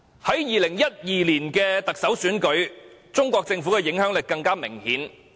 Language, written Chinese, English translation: Cantonese, 在2012年特首選舉中，中國政府的影響力更為明顯。, In the 2012 Chief Executive Election the influence of the Chinese Government was particularly obvious